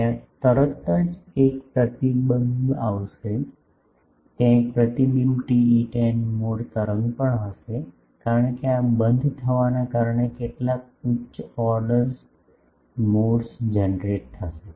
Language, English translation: Gujarati, There will be immediately a reflection, there will be a reflected TE 10 mode wave also, because of this discontinuity there will be some higher order modes will get generated